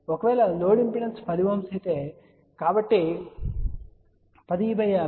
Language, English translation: Telugu, Suppose, if the load impedance is 10 Ohm, so 10 divided by 50 will be 0